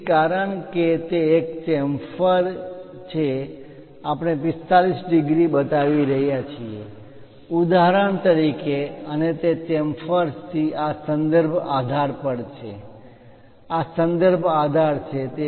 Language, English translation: Gujarati, So, because it is a chamfer, we are showing 45 degrees for example, and that is from that chamfer to this reference base, this is the reference base